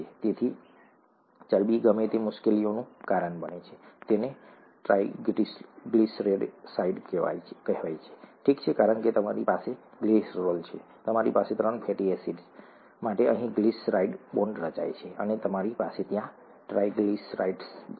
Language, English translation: Gujarati, It is called a triglyceride, okay because you have you have glycerol, you have a glyceride bonds being formed here for three fatty acids and you have a triglyceride there